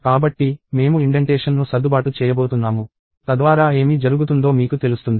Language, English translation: Telugu, So, I am going to adjust the indentation, so that you know what is happening